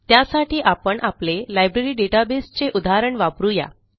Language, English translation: Marathi, For this, let us consider our familiar Library database example